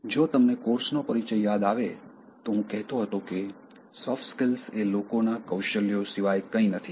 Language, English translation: Gujarati, If you remember the introduction to the course, I have been telling that soft skills are nothing but people skills